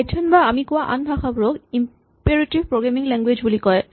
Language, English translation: Assamese, So, Python and other languages we have talked about are what are called imperative programming languages